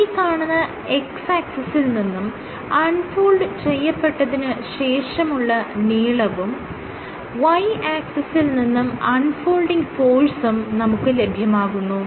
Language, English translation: Malayalam, So, your X axis gives us unfolded length and the Y axis gives you unfolding force